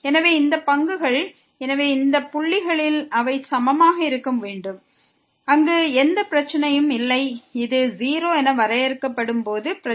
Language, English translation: Tamil, So, all these derivatives, so they must be equal at these points where there is no problem the problem will be when this is defined as 0